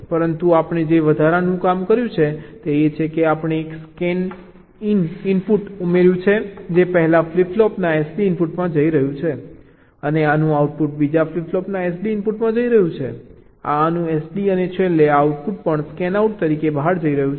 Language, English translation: Gujarati, but the additional thing we have done is that we have added a scanin input that is going into the s d input of the first flip flop and the fa in the output of this one is going to the s d input of the second flip flop